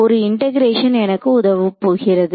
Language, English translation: Tamil, So, one integration is going to help me with that